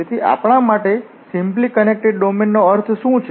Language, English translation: Gujarati, So, what do we mean by the simply connected domain